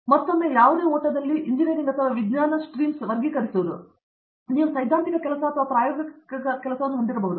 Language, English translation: Kannada, Now, again broadly classifying as in any other engineering or science streams, you could have theoretical work or experimental work